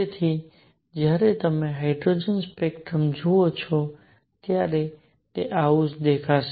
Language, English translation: Gujarati, So, when you look at a hydrogen spectrum, this is what it is going to look like